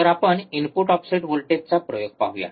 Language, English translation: Marathi, So, let us see input offset voltage experiment